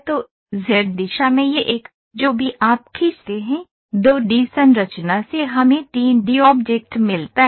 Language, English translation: Hindi, So, this one along the Z direction, whatever you pull, from the 2 D structure we get a 3 D object